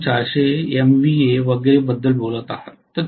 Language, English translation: Marathi, You are talking about 400MVA and so on and so forth